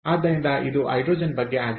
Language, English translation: Kannada, so hydrogen is available